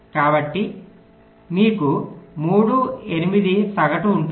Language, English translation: Telugu, so your three, eight will be average